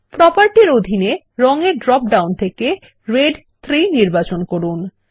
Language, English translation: Bengali, Under Properties, lets select Red 3 from the Color drop down